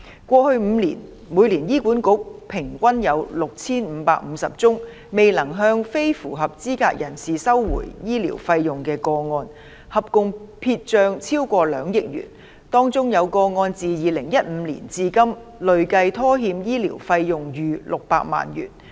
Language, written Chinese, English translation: Cantonese, 過去5年，每年醫院管理局平均有6550宗未能向非符合資格人士收回醫療費用的個案，合共撇帳超過兩億元；當中有個案自2015年至今累計拖欠醫療費用逾600萬元。, In the past five years the average number of cases in which the Hospital Authority failed to recover medical fees from non - eligible persons was 6 550 a year and the total amount of medical fees written off was more than 200 million . In one of those cases the amount of unpaid medical fees has accumulated to over 6 million since 2015